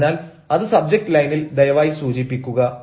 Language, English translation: Malayalam, so please mention it in the subject line